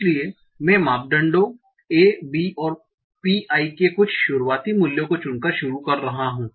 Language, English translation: Hindi, So I'm starting by choosing some initial values of the parameters, ABN pi